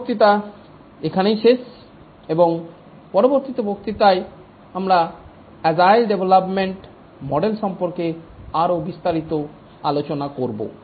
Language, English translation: Bengali, For this lecture, we will just come to the end and in the next lecture we will discuss more details about the agile development model